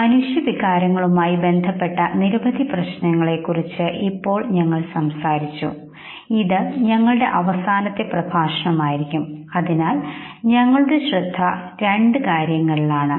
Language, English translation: Malayalam, Now that we have talked about whole lot of issues that lead into human emotions, this is going to be our last lecture, and therefore our focus would be on two things